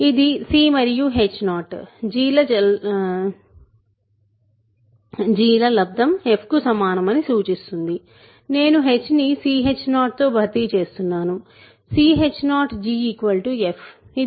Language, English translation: Telugu, So, this implies c times h 0 times g equal to f, I am just replacing h by c h is 0, c h 0 g is equal to f